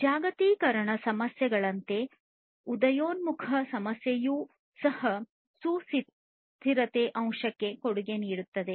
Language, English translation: Kannada, Emerging issues are also there like the globalization issues which also contribute to the sustainability factor